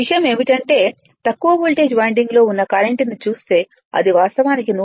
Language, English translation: Telugu, Only thing is that if you look into that current in the low voltage winding it is actually 106